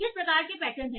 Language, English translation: Hindi, So what kind of patterns that are there